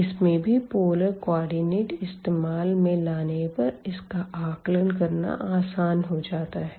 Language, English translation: Hindi, And with the help of again the polar coordinate this was very easy to evaluate